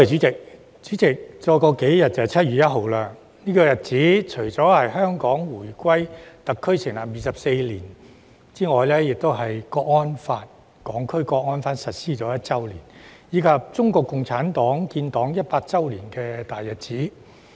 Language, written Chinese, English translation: Cantonese, 主席，數天後便是7月1日，這一天除了是香港回歸暨特區成立24周年，亦是《香港國安法》實施1周年，以及中國共產黨建黨100周年的大日子。, President 1 July is just a few days away . It marks the 24anniversary of the reunification of Hong Kong and the establishment of the Hong Kong Special Administrative Region the first anniversary of the implementation of the National Security Law for Hong Kong as well as the 100 anniversary of the founding of the Communist Party of China